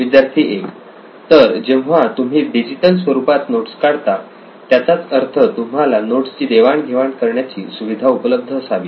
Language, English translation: Marathi, So when you are taking down notes digitally, that would also mean that you have a provision to share your notes